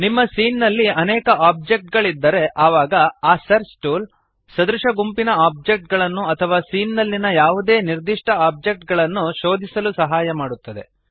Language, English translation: Kannada, If your scene has multiple objects, then this search tool helps to filter out objects of similar groups or a particular object in the scene